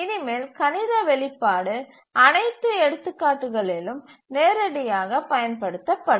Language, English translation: Tamil, So from now onwards all our examples we will use the mathematical expression directly